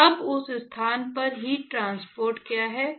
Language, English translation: Hindi, So now, let us say look at what is the heat transport at that location